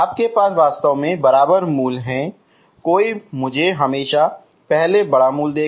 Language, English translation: Hindi, You have actually equal roots, one will always give me first bigger root